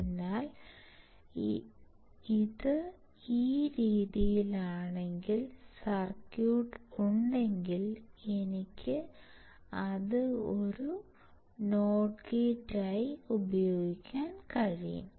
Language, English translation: Malayalam, So, if this is in this way and if I have the circuit, I can use it as a not gate